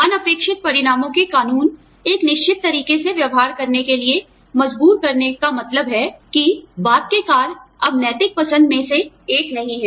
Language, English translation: Hindi, The law of unintended consequences, being forced to behave in a certain way means, that the subsequent act is no longer, one of ethical choice